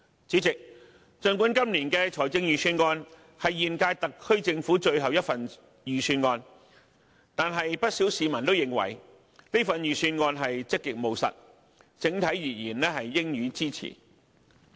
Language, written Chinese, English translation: Cantonese, 主席，儘管今年的預算案是現屆特區政府的最後一份預算案，但不少市民都認為此份預算案積極務實，整體而言應予支持。, President the Budget this year is the last Budget of the current - term Government but many people still consider it proactive and pragmatic and should be given support in general